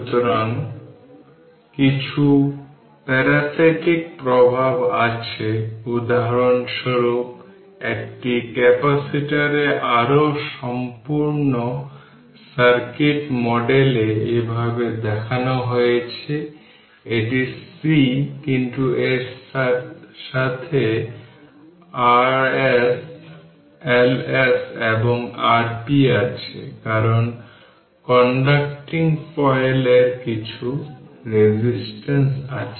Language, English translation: Bengali, So, some parasitic effects is there for example, in more complete circuit model of a capacitor is shown like this, this is my C, but with that R s L s and R p is there right because conducting foils right ah you have some your your what you call some resistance